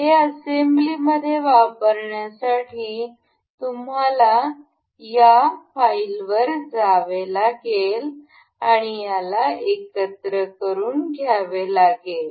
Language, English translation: Marathi, To use this in assembly you have to go to this file go to make assembly from part